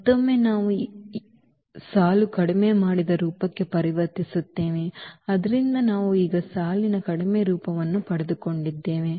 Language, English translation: Kannada, And again, we will convert into the row reduced form, so we got this row reduced form now